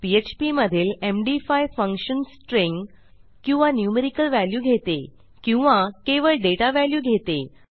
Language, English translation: Marathi, Md5s function in php takes a string or numerical value, string value or just a data value